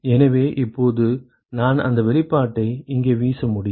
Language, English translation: Tamil, So, now I can throw in that expression here